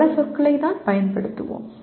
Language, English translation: Tamil, Using several words